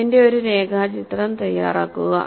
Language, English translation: Malayalam, Make a sketch of this